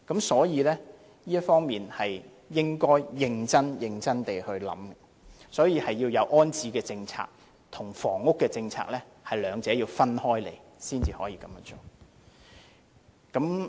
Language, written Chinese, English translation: Cantonese, 所以，局長應認真地考量這方面，即安置政策與房屋政策兩者要分開處理，才可以解決問題。, Hence the Secretary should seriously consider this issue . It is only when the rehousing policy is separated from the housing policy that the problem can be resolved . Secretary John LEE was sitting idly here this morning